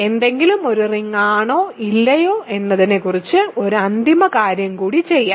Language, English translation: Malayalam, So, let us do one more final thing about whether something is a ring or not